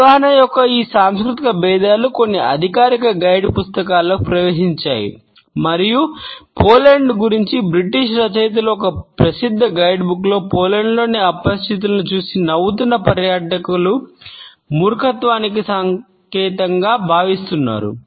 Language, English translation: Telugu, These cultural differences of understanding have seeped into some official guide books and British authors of a popular guidebook about Poland have warn tourists that is smiling at strangers in Poland is perceived is a sign of stupidity